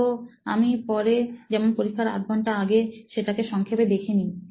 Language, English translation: Bengali, So I just need a recap later on like maybe just before the exam half an hour